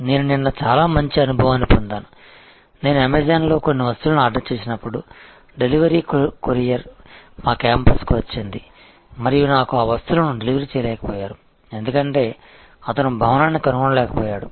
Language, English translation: Telugu, I had a very good experience yesterday, when I had ordered some stuff on an Amazon and the delivery courier came to our campus and could not deliver the stuff to me, because allegedly he could not find the building